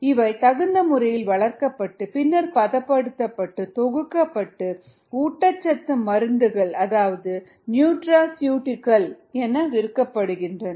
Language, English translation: Tamil, it is grown and then processed and packaged and that is sold as nutraceuticals